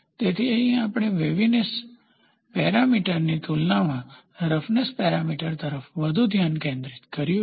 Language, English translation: Gujarati, So, here we are more focused towards roughness parameter as compared to that of waviness parameter